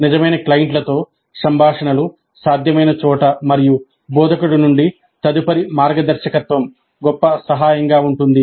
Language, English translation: Telugu, Interactions with real clients were possible and subsequent guidance from instructor would be of great help